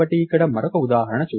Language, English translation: Telugu, So, lets see another example here